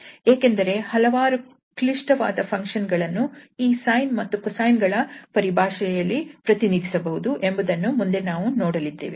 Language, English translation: Kannada, We can see this is not as simple as we perhaps expected from the sine and the cosine functions